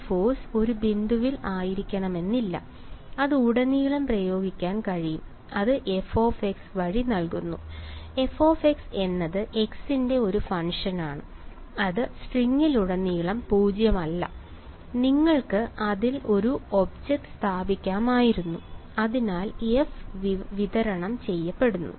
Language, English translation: Malayalam, That force need not be at a point it can be applied throughout and that is given by f of x; f of x is the is a function of x can be non zero throughout the string you could be have placed an object on it, so f is distributed right